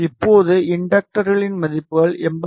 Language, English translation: Tamil, Now these values of inductors are 82